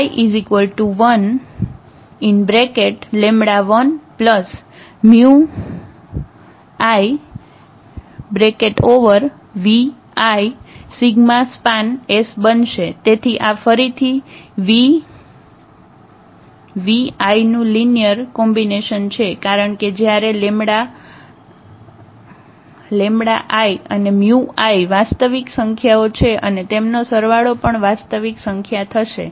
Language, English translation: Gujarati, So, again this is a linear combination of the v i is because when lambda i’s and mu i’s are real their sum is also real number